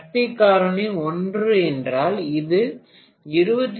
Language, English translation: Tamil, If the power factor had been 0